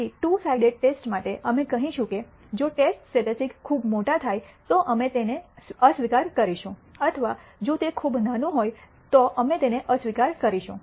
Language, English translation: Gujarati, So, for a two sided test, we will say if the test statistic happens to be very large we will reject it or if it is very small we will reject it